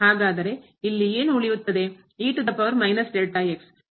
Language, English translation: Kannada, So, what will remain here